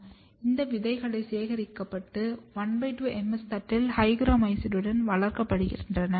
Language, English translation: Tamil, These seeds are collected and grown on half MS plate with hygromycin